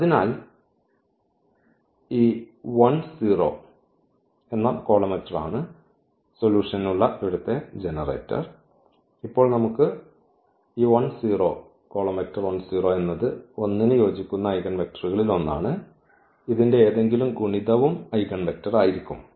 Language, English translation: Malayalam, So, this 1 0 is the is the generator here for the solution and now that is what we have this 1 0 is one of the eigenvectors corresponding to 1 and any multiple of this will be also the eigenvector